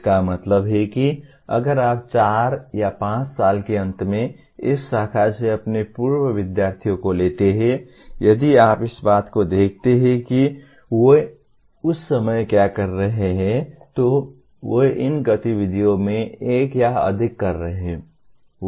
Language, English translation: Hindi, That means if you take your alumni from this branch at the end of four or five years, if you look at what they are at that time doing, they are doing one or more of these activities